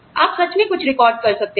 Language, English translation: Hindi, You can actually record something